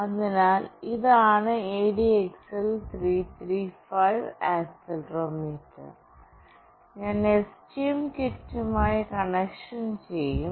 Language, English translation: Malayalam, So, this is the ADXL 335 accelerometer, and I will be doing the connection with STM kit